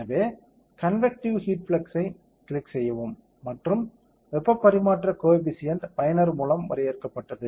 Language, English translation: Tamil, So, click convective heat flux and what is heat transfer coefficient user defined, heat transfer coefficient usually for air is 5